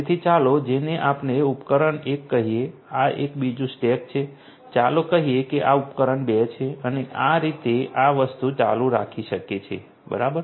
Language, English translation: Gujarati, So, this is let us say device 1 this is another stack let us say this is device 2 and this thing can continue like this all right